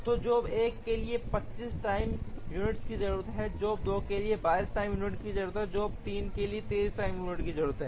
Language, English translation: Hindi, So, job 1 requires 25 time units, job 2 requires 22 time units, job 3 requires 23 time units